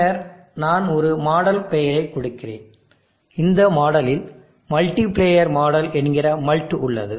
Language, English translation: Tamil, And then I am giving a model name and in the model I have the multiplier model which will come in